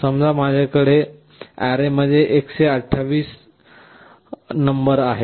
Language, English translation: Marathi, Suppose I have 128 numbers in the array